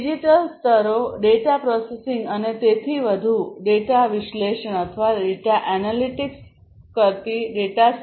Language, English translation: Gujarati, Digital layers talks about storing the data analyzing the data processing the data and so on